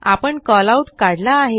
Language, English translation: Marathi, You have drawn a Callout